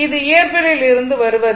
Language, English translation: Tamil, This is from your physics you know right